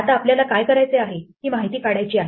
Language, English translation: Marathi, Now, what we want to do is we want to extract this information